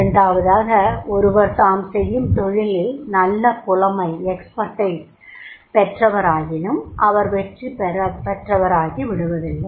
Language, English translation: Tamil, Second, is those who are expert in their jobs but they are not successful